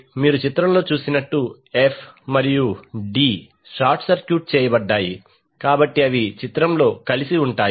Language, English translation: Telugu, The circuit will look like now as you can see in the figure f and d are short circuited so they are clubbed together in the particular figure